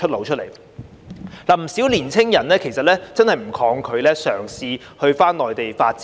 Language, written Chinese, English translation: Cantonese, 事實上，有不少年青人其實真的不抗拒返回內地發展。, As a matter of fact many young people do not resist working in the Mainland